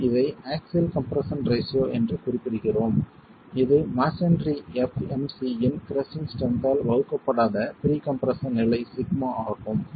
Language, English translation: Tamil, We refer to this as the axial stress ratio which is pre compression level sigma not divided by the axial compress the crushing strength of masonry fmc